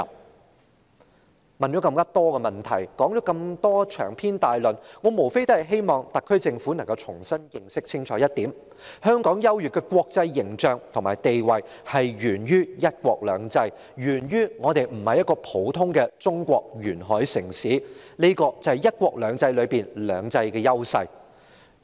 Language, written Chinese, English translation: Cantonese, 主席，提出了這麼多問題，長篇大論，我無非希望特區政府可以重新認清一點，就是香港優越的國際形象和地位，是源於"一國兩制"，是源於香港不是中國一個普通的沿海城市，這是"一國兩制"中"兩制"的優勢。, President with these loads of questions and lengthy remarks I simply hope the Government will be fully aware that Hong Kongs superior international image and position originate from one country two systems and Hong Kong not being an ordinary coastal city of China which is the advantage of two systems under one country two systems